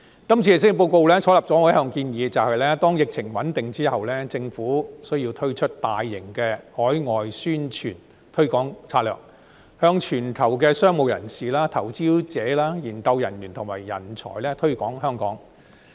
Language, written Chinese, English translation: Cantonese, 今次施政報告採納了我一向的建議，便是待疫情穩定之後，政府需要推出大型海外宣傳推廣策略，向全球商務人士、投資者、研究人員和人才推廣香港。, The current Policy Address has adopted my long - standing suggestion that when the pandemic situation stabilizes the Government should roll out large - scale publicity and promotion strategies to promote Hong Kong to businessmen investors entrepreneurs researchers and talents around the world